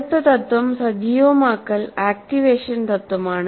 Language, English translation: Malayalam, The key principle next principle is activation principle